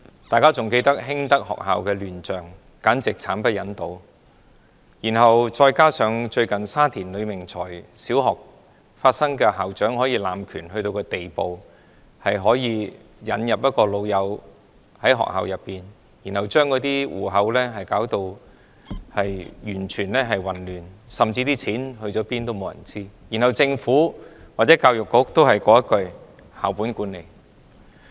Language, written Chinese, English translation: Cantonese, 大家還記得興德學校的亂象，簡直慘不忍睹；再加上最近浸信會沙田圍呂明才小學事件，校長濫權的地步到了聘請自己的好朋友、混亂學校帳目、錢去了哪裏沒有人知道，而政府或教育局也只是說"校本管理"。, We still remember the chaotic scenes in Hing Tak School which was simply too ghastly to see . There is also the recent incident of Baptist Sha Tin Wai Lui Ming Choi Primary School in which its headmistress abused her power to the extent that she hired her own bosom friends and messed up school accounts with no one knew where the money has gone . Even so the Government or Education Bureau still just says school - based management